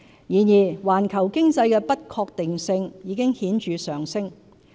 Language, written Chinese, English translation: Cantonese, 然而，環球經濟的不確定性已顯著上升。, However uncertainties in the global economy have increased markedly